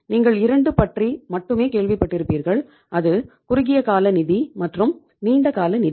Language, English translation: Tamil, You must have heard about only 2, that is the short term finance and the long term finance